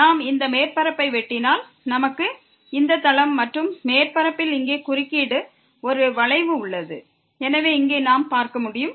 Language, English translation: Tamil, If we cut this surface, then we as we can see here there is a curve of intersection here by this plane and the surface